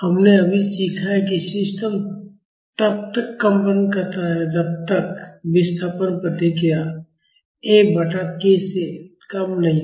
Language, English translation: Hindi, We have just learned, that the system will continue vibrating until the displacement response is less than F by k